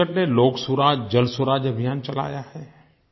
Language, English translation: Hindi, Chhattisgarh has started the 'LokSuraj, JalSuraj' campaign